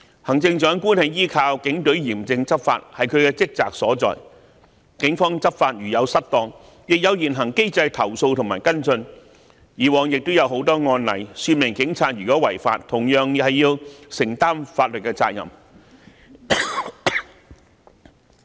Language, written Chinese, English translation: Cantonese, 行政長官依靠警隊嚴正執法，這是她的職責所在，警方執法如有失當，亦有現行機制投訴及跟進，以往也有很多案例說明警察如果違法，同樣要承擔法律責任。, That is her responsibility . If the Police have acted inappropriately in enforcing the law people can complain and follow up the matter under the existing mechanism . There are many precedents that police officers have to bear legal liabilities if they have violated the law